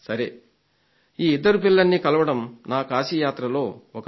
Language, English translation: Telugu, Meeting these kids was a very special experience that I had on my Kashi visit